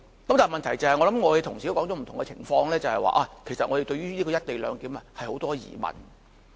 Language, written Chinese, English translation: Cantonese, 然而，我想同事也指出了不同的情況，問題是我們對於"一地兩檢"有很多疑問。, However I believe Members have already pointed out the various scenarios relating to this arrangement . The problem is that we are highly doubtful about the co - location proposal